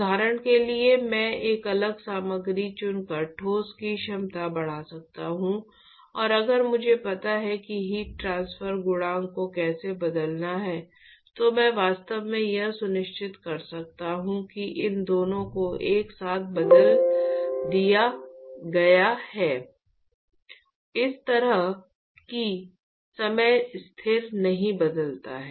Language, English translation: Hindi, For example, I could increase the capacity of the solid by choosing a different material, and if I know how to change the heat transfer coefficient, which you will see when we discuss convection then I could actually make sure that these two are simultaneously changed in such a way that the time constant does not change